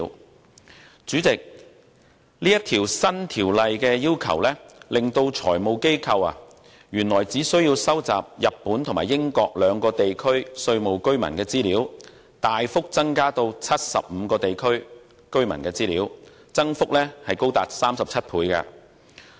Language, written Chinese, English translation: Cantonese, 代理主席，《條例草案》的要求，令財務機構由原來只須收集日本和英國兩個地區稅務居民的資料，大幅增加至75個地區居民的資料，增幅高達37倍。, Deputy President under the Bill the number of jurisdictions in respect of which FIs are required to collect tax residents information increases substantially to 75 from the existing two namely Japan and the United Kingdom representing a 37 - fold increase